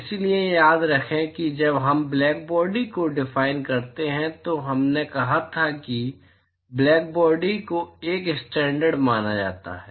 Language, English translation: Hindi, So, remember when we define blackbody we said that blackbody is considered to be a standard